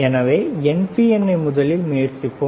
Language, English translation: Tamil, So, let us try with NPN first one